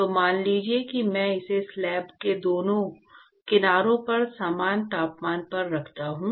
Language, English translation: Hindi, So, supposing if I maintain it at same temperature on both sides of the slab